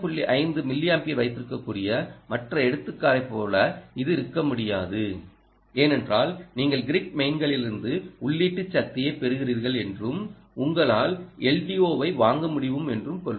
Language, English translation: Tamil, it can't be like the other examples where you can have zero point five, eight milliamperes because you are drawing ah input power from ah, let us say from the grid mains, and you can afford to ah l d o for instant